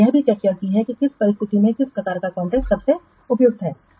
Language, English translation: Hindi, We have also discussed which type of contract is best suitable under what circumstances